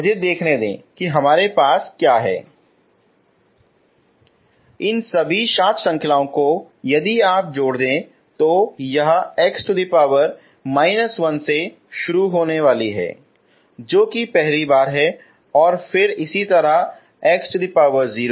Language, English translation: Hindi, So all these seven series if you add up it is going to be starting from x power minus 1 that is the first time and then so on x power 0, next term and so on